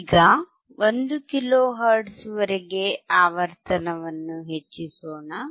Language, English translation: Kannada, So now, let us keep increasing the frequency till 1 kilo hertz